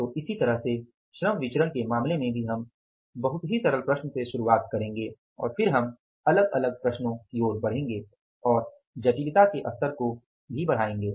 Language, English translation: Hindi, So, similarly in case of the labor variances also we will start with a very simple problem and then we will move to the say the different other problems and will the level of complexity